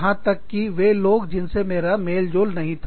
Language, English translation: Hindi, Even, the people, who i did not get along with